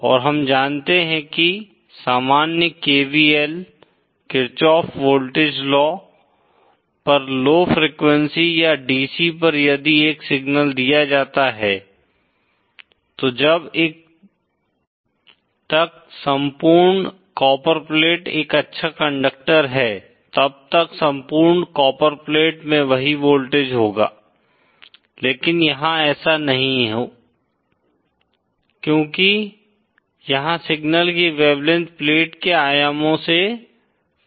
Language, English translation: Hindi, And we know that from normal KVL, KirchoffÕs voltage low, at low frequencies or DC if a signal is applied, then the entire copperplate as long as it is a good conductor, entire copperplate will have the same voltage but that is not the case here because here the wavelength of the signal is comparable to the dimensions of the plate